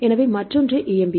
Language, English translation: Tamil, So, another one is EMBL